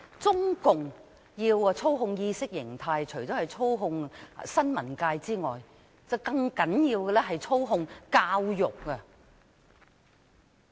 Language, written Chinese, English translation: Cantonese, 中共要操控意識形態，除了操控新聞界，更重要的是操控教育。, When the Communist Party of China seeks to impose ideological control it must control the press and more importantly it must control education